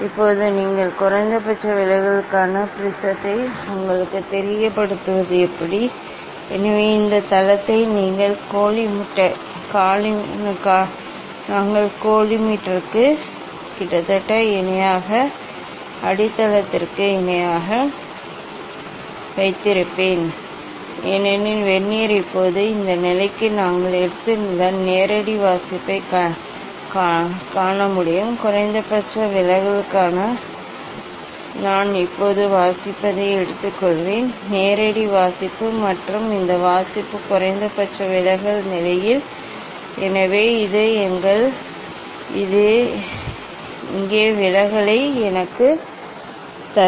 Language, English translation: Tamil, now if you put the prism for minimum deviation how to put you know, so this base we will keep almost parallel to the base almost parallel to the coli meter since see direct reading we have taken for this position of the Vernier Now, for minimum deviation, I will take reading Now, from direct reading and this reading at the minimum deviation position, so this will give me the deviations here